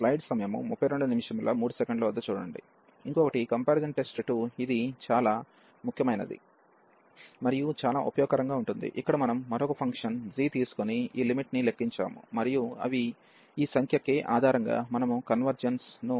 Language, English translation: Telugu, And another this comparison test 2, which was also very important and very useful where we of take a another function g and compute this limit, and they based on this number k, we can conclude the convergence